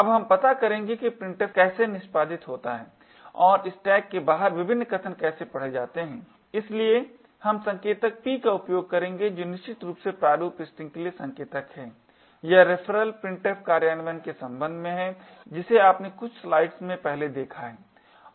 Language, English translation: Hindi, Now we will track how printf executes and how various arguments are read out of the stack, so we will use the pointers p which essentially is the pointer to the format string this is with respect to the referral printf implementation which you have seen in few slides before and we also use ap which is the argument pointer